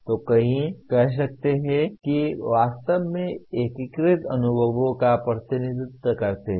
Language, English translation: Hindi, So one can say these represent a truly integrated experiences